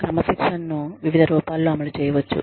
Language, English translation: Telugu, Discipline can be enforced, in various forms